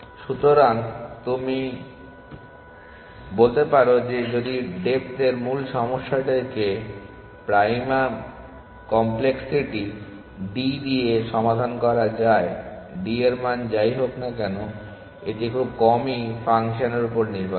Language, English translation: Bengali, So, you can say that if the original problem of depth could be sized solved with prime complexity d whatever d is, it depends on the function rarely